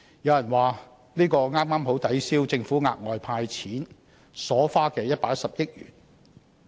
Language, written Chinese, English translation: Cantonese, 有人認為，這剛好抵銷政府額外"派錢"所花的110億元。, Some consider that this amount can well offset the 11 billion spent by the Government on the extra cash handouts